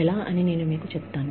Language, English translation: Telugu, I will just tell you, how